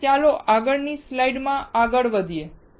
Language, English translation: Gujarati, Now, let us see the next slide